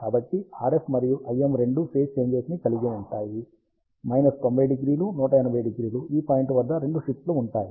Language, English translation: Telugu, So, RF and IM both have phase shift of minus 90 degree; at this point, both will have a phase shift of minus 180 degree